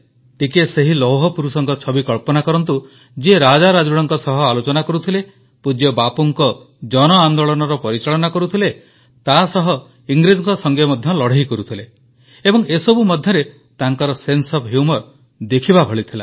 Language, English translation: Odia, Just visualize the image of the Ironman who was interacting simultaneously with kings and royalty, managing the mass movements of revered Bapu, and also fighting against the British… and in all these his sense of humour too was in full form